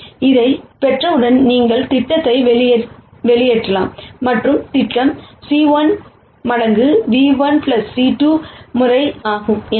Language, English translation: Tamil, Once you get this, then you can back out the projection and the projection is c 1 times nu 1 plus c 2 times nu 2